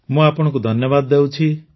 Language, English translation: Odia, I thank you